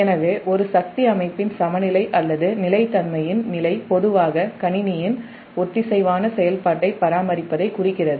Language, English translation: Tamil, so therefore, the state of equilibrium or stability of a power system commonly alludes to maintaining synchronous operation, synchronous operation of the system, right